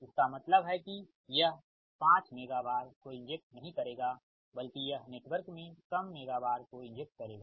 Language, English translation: Hindi, that means it will not inject five megavar as are, it will inject less megavar into the netvar, right